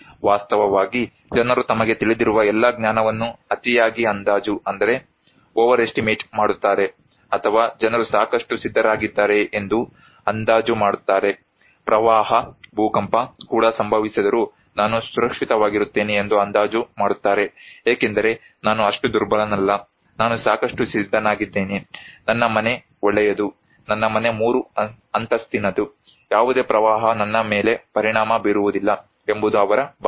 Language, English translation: Kannada, Actually, people overestimate their knowledge that they know all, or people estimate that they are prepared enough that even flood will can earthquake will happen I will be safe because I am not that vulnerable, I am prepared enough, my house is good, my house is three storied, no flood can affect me